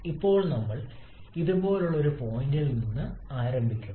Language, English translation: Malayalam, Now we start from a point like this